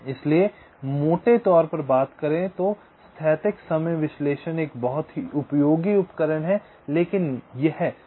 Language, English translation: Hindi, so broadly speaking, the static timing analysis is a very useful tool, but it suffers from a couple of drawbacks